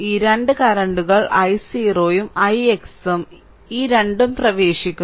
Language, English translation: Malayalam, So, this two current this i 0 and i x this two are entering